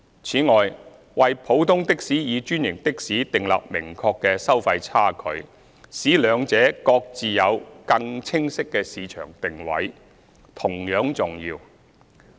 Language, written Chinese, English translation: Cantonese, 此外，為普通的士與專營的士訂立明確的收費差距，使兩者各自有更清晰的市場定位，同樣重要。, Moreover it is equally important to set a clear fare differential between ordinary taxis and franchised taxis so as to achieve more distinctive market positioning between the two